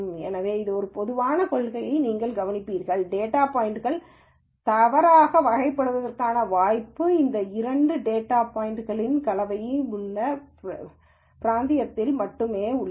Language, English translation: Tamil, So, you will notice one general principle is, there is a possibility of data points getting misclassified, only in kind of this region where there is a mix of both of these data points